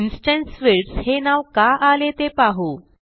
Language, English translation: Marathi, Now let us see why instance fields are called so